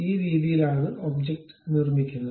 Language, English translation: Malayalam, This is the way you construct the objects